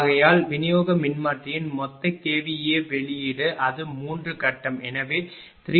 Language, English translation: Tamil, Therefore, the total KVA output of the distribution transformer is it is 3 phase so, 3 into 22